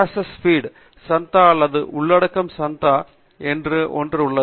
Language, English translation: Tamil, There is something called RSS feed subscription or content subscription